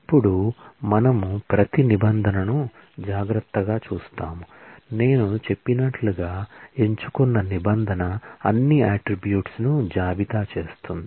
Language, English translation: Telugu, Now, we will go over each and every clause carefully, the select clause as I said will list all the attributes